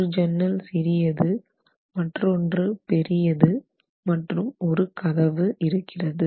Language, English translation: Tamil, One is a smaller window, the other is a bigger window, one is a door